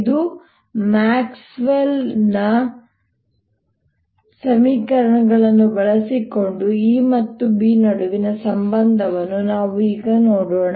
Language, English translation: Kannada, let us now look at the relationship between e and b using other maxwell's equations